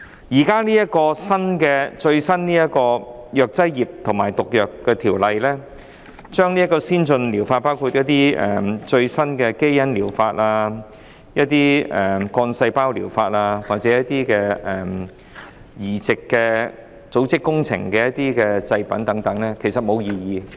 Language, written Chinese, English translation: Cantonese, 政府現在最新提出的《條例草案》涵蓋先進療法，包括最新的基因療法、幹細胞療法或移植組織工程的製品等，其實沒有人提出異議。, The latest Bill proposed by the Government now covers advanced therapies including the latest gene therapy stem cell therapy and tissue engineering products for transplantation . Actually no one has raised objections